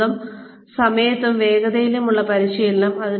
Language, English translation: Malayalam, Training at one's own time and pace